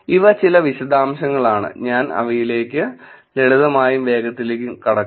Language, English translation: Malayalam, Of course, these are some details, I will go through them slightly quickly